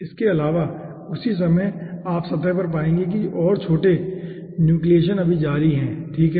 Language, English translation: Hindi, apart from that, simultaneously you will be finding out over the surface more smaller nucleations are still continuing